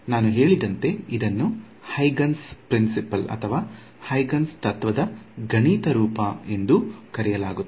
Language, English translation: Kannada, This as I mentioned was is also known as the mathematical form of Huygens principle